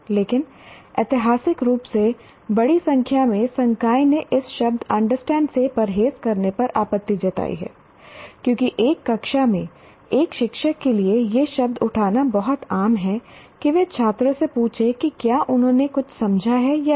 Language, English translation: Hindi, But what happened is historically a large number of faculty have objected to the, to avoiding the word understand because in a classroom it is very common for a teacher to raise the word asking the students whether they have understood something or not